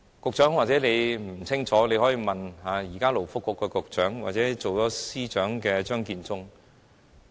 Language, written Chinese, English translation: Cantonese, 局長，也許你不清楚，但你可以問問勞工及福利局局長或現為政務司司長的張建宗。, Secretary you may not be well versed in this but you can ask the Secretary for Labour and Welfare or Mr Matthew CHEUNG who is the Chief Secretary for Administration now